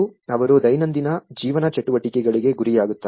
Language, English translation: Kannada, They are prone to the daily life activities